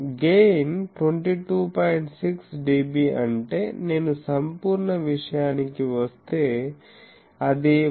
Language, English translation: Telugu, 6 dB, that if I put to absolute thing it is 181